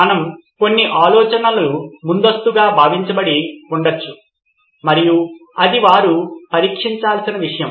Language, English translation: Telugu, We may have some ideas preconceived notions and that is something that they will have to test out